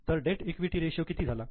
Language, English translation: Marathi, So, what is a debt equity ratio